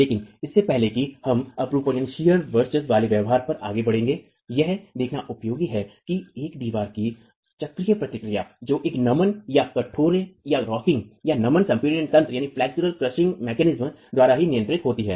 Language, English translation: Hindi, But before we move on to the shear dominated behavior, it's useful to look at what's the cyclic response of a wall that is governed by a flexual rocking or a flexual crushing mechanism itself